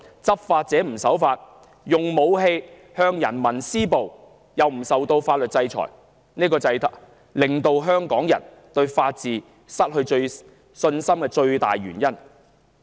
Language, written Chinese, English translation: Cantonese, 執法者不守法，用武器向人民施暴，卻不受法律制裁，這正是香港人對法治失去信心的最大原因。, Law enforcers defy the law by using weapons to inflict violence on members of the public without being subject to legal sanctions―such is the biggest reason for Hongkongers loss of confidence in the rule of law